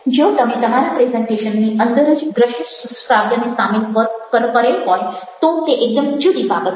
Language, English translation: Gujarati, if you having an audio visual within your presentation embedded, that's a different thing all together